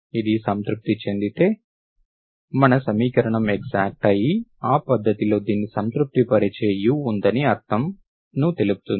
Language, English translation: Telugu, If this is satisfied, my equation is exact, that method will be able to find my u satisfying this